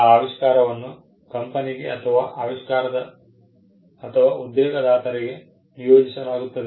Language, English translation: Kannada, So, but the invention is assigned to the company, the employer